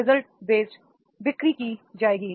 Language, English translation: Hindi, The result base will be sales made